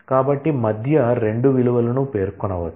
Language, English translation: Telugu, So, between can specify 2 values